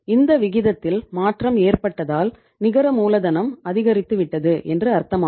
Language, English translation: Tamil, So it means because of the change in the this ratio your net working capital has also increased